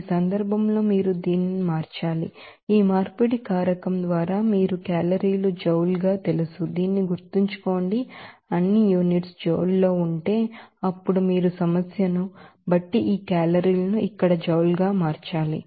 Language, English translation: Telugu, In this case you have to convert this, you know calorie to joule by this conversion factor, remember this, if all units are in joule, then you have to convert this calorie to joule here according to the problem